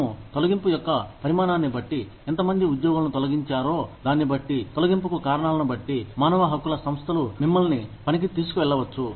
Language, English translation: Telugu, We, depending on the size of the layoff, depending on, how many people are laid off, depending on, the reasons for the layoff, human rights organizations, may take you to task